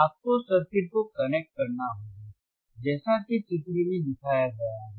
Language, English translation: Hindi, You have to connect the circuit as shown in figure